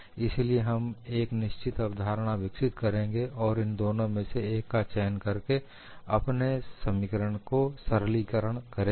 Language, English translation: Hindi, So, we will develop certain concepts and simplify our equations by choosing one of the two that is the reason why we look at it